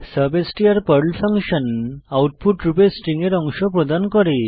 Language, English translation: Bengali, substr is the PERL function which provides part of the string as output